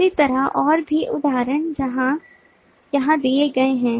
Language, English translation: Hindi, similarly, more examples are given here